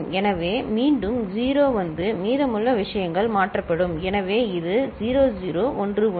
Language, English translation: Tamil, So, again 0 comes and the rest of the things get shifted; so it is 0 0 1 1